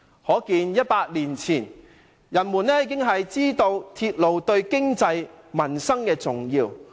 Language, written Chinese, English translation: Cantonese, "可見早在100年前，人們已知道鐵路對經濟、民生的重要性。, From this we know that people did understand the importance of the railway to economy and livelihood even in as early as a hundred years ago